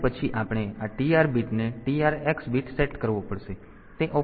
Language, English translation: Gujarati, So, that is the operation